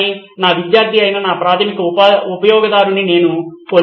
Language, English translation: Telugu, but I lose out on my primary customer who is my student